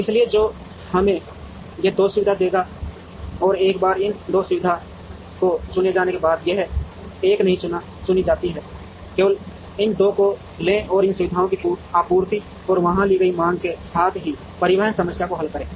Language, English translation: Hindi, So, which would give us these 2 facilities and once these 2 facilities are chosen, this one is not chosen, take only these 2 and solve a transportation problem with the capacity of these facilities as the supplies and the demand taken there and we would get a solution to that